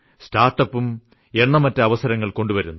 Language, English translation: Malayalam, Startup also brings innumerable opportunities